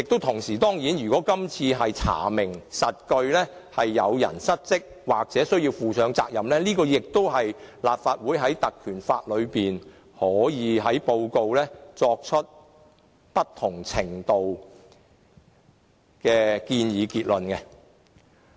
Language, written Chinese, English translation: Cantonese, 同時，如果今次查明屬實是有人失職或需要負上責任，立法會也可以在調查報告中作出不同程度的建議和結論。, At the same time if the allegation of dereliction of duty on the part of someone is substantiated or someone has to be held responsible for the incident the Legislative Council can also make different recommendations and draw different conclusions in our investigation report